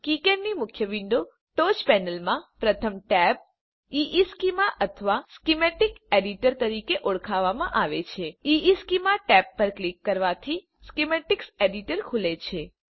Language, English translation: Gujarati, The first tab in the top panel of KiCad main window is called as EESchema or schematic editor Clicking on EESchema tab opens the schematic editor